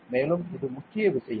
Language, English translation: Tamil, And, so this is the main thing good